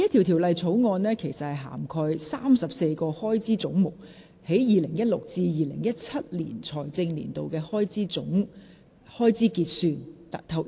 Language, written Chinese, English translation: Cantonese, 《條例草案》涵蓋34個開支總目在 2016-2017 財政年度的開支結算。, The Bill covers the actual expenditure under 34 heads of expenditure in the financial year 2016 - 2017